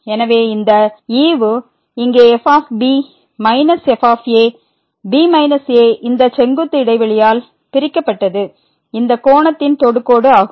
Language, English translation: Tamil, So, this quotient here minus were minus this perpendicular divided by the space will be the tangent of this angle